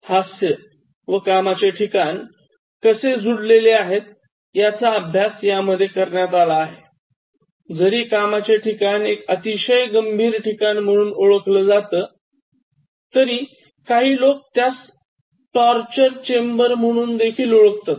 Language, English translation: Marathi, So, they try to study how laughter is connecting both and in terms of workplace, although workplace is considered a very serious kind of place, some people consider that even as a torture chamber